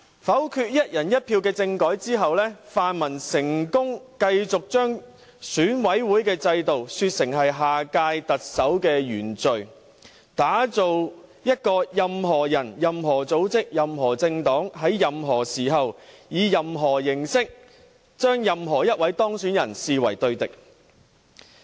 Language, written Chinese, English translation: Cantonese, 否決"一人一票"的政改之後，泛民成功繼續把選舉委員會的制度說成是下屆特首的原罪，打造一個任何人、任何組織、任何政黨、在任何時候、以任何形式，將任何一位當選人視為對敵。, After voting down the one person one vote constitutional reform proposal the pan - democratic camp has succeeded in dismissing the Election Committee system as an original sin of the next Chief Executive while taking every opportunity to adopt whatever means to dismiss anyone so elected as an adversary of individuals organizations and political parties